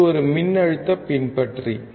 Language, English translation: Tamil, This is a voltage follower